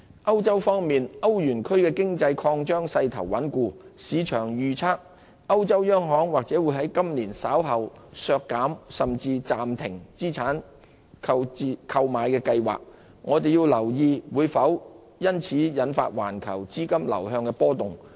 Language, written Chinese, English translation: Cantonese, 歐洲方面，歐羅區經濟擴張勢頭穩固，市場預測歐洲央行或會在今年稍後削減甚至暫停資產購買計劃，我們要留意會否因此引發環球資金流向出現波動。, In Europe the growth momentum of the economies in the Euro area remains solid . The markets predict the European Central Bank may well scale back or even suspend its asset purchase programme later this year . Attention should be paid to whether this will trigger fluctuations in global capital flows